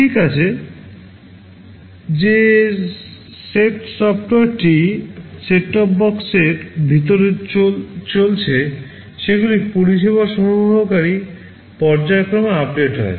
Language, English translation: Bengali, Well the software that is running inside the set top box also gets periodically updated by the service provider